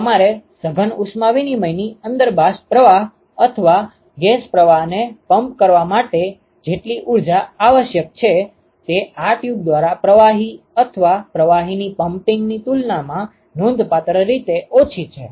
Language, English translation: Gujarati, So, the amount of energy that you require to pump vapor stream or a gas stream inside the compact heat exchanger is significantly less compared to that of pumping of fluid or a liquid to through this tube